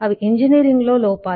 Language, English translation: Telugu, so what is engineering